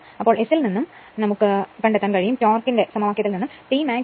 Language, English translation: Malayalam, So, from S and you know that torque expression T max is equal to 3 upon omega S 0